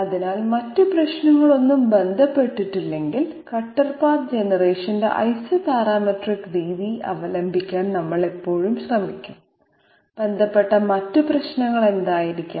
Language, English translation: Malayalam, So obviously we would always try to resort to Isoparametric method of cutter path generation if there are no other problems associated, what can be the other problems associated